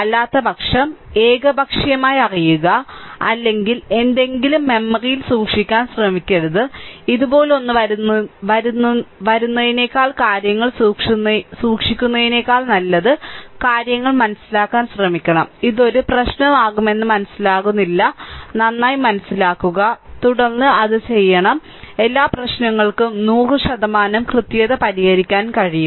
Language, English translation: Malayalam, Otherwise for example, otherwise you know just just arbitrary or keeping something in memory do not try, ah better we should try to understand the things rather than keeping something like this if it comes like this, I will keep it in memory that will not give as a no no ah this thing understanding that will be a problem better understand and then we should do it right, then everything every problem you can solve 100 percent accuracy you can solve right